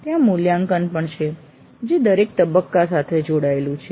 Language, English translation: Gujarati, But there is also an evaluate which is connected to every phase